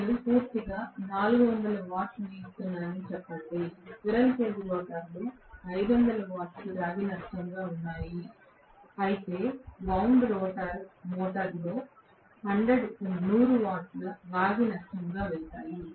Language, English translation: Telugu, Let’s say I am giving totally 400 watts, in the squirrel cage rotor may be 50 watts have gone as copper loss whereas in wound rotor motor 100 watts will go as copper loss